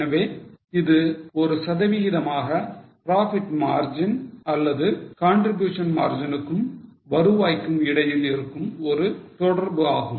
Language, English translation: Tamil, So, this is a relationship between the profit margin or a contribution margin as a percentage to revenue